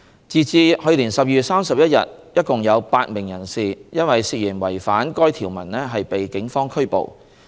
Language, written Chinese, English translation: Cantonese, 截至2019年12月31日，一共有8名人士因涉嫌違反該條文被警方拘捕。, As at 31 December 2019 a total of eight persons were arrested by the Police for alleged violation of such provision